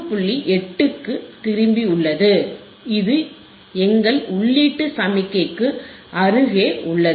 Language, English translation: Tamil, 8 which is close to our input signal right